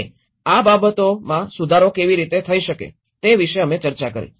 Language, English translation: Gujarati, And also, we did discussed about how these things could be improved